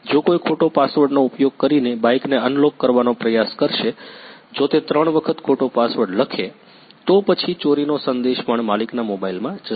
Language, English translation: Gujarati, If someone will try to unlock the bike using wrong password; if he types wrong password three times, then also the theft message will go to the owners mobile